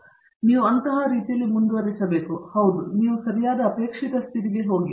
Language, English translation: Kannada, So, you have to proceed in such a manner that, you go to the correct desired condition